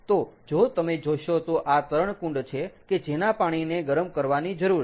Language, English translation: Gujarati, so, if you look at this, this is the swimming pool whose water needs to be warmed